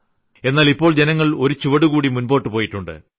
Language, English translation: Malayalam, But now, people have marched one step ahead in the initiative